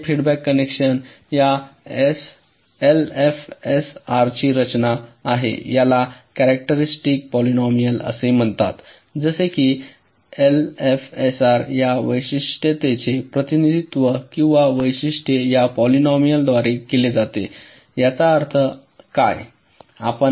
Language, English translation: Marathi, now this feedback connection are the structure of this l f s r can be defined by something called the characteristic polynomial, like this: particular for for l f s r is represented or characterized by this polynomial